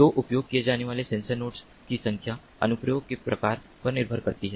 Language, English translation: Hindi, so the number of sensor nodes that are used depends on the application type, the sensor nodes